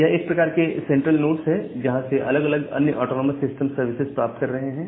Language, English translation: Hindi, So, they are the kind of central nodes, from where all the different other autonomous systems they are getting their service